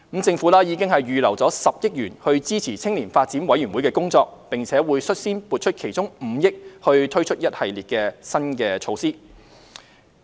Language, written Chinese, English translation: Cantonese, 政府已預留了10億元支持青年發展委員會的工作，並會率先撥出其中5億元推出一系列新措施。, The Government has earmarked 1 billion to support YDCs work and 500 million will first be allocated to implement a series of new measures